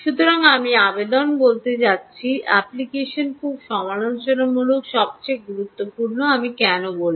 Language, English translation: Bengali, so i am going to say application, application is very critical, most critical, i would say